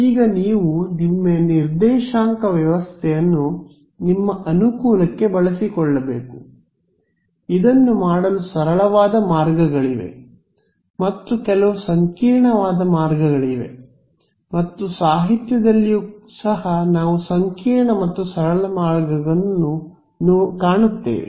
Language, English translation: Kannada, Now you should you should use your coordinate system to your advantage, there are sort of simple ways of doing this and there are some very complicated ways of doing this and even in the literature we will find complicated and simple ways